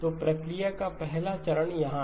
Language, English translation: Hindi, So the first stage of the process is here